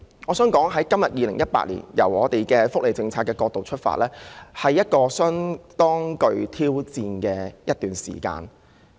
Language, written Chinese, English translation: Cantonese, 我想指出從2018年的福利政策角度出發，今天其實是一個相當具挑戰性的日子。, I wish to point out that from the perspective of the welfare policy implemented in 2018 today is indeed a very challenging day for us